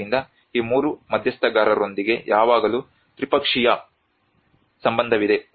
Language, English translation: Kannada, So there is always a tripartite relationship with these 3 stakeholders